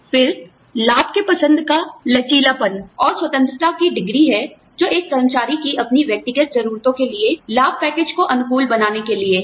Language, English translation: Hindi, And, this is the degree of freedom, an employee has, to tailor the benefits package, to their personal needs